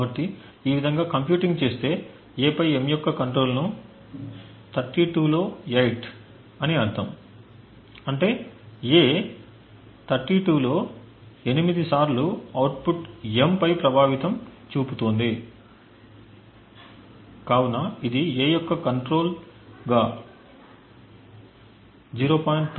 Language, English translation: Telugu, So computing in this way we see that the control of A on M is 8 out of 32 which would mean that 8 times out of 32 A has an influence on the output M, so this use a value of 0